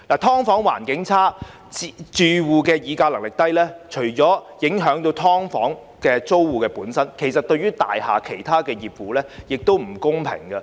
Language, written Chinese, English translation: Cantonese, "劏房"環境差，住戶議價能力低，除影響"劏房"租戶本身，對於大廈其他業戶亦不公平。, The problems surrounding SDUs such as poor environment and weak bargaining power of tenants have not only affected SDU tenants but also put owner - occupier households of the building concerned in an unfair situation